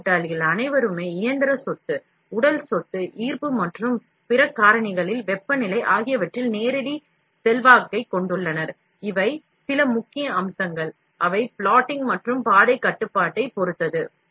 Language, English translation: Tamil, All this fellows, have a direct influence on the mechanical property, on the physical property, gravity and other factors temperature built in within the part; these are some of the key features, which depend on plotting and the path control